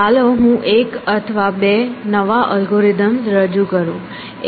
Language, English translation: Gujarati, So, let me introduce one new algorithm or two new algorithms